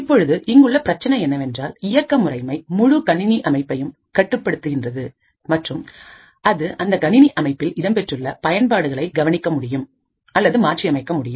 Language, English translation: Tamil, Now the problem over here is that since the operating system controls the entire system and can monitor or modify all applications present in that system